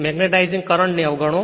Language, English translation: Gujarati, Ignore magnetizing current right